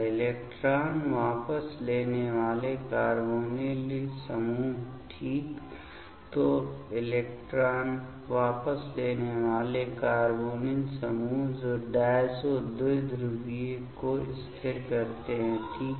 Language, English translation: Hindi, Electron withdrawing carbonyl groups ok; so, electron withdrawing carbonyl groups that stabilize the diazo dipole ok